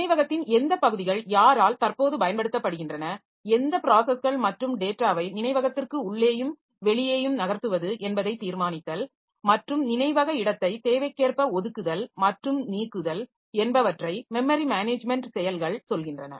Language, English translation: Tamil, So, memory management activities so they talk about keeping track of which parts of memory are currently being used and by whom deciding which processes and data to move into and out of memory so and allocating andocating memory space as needed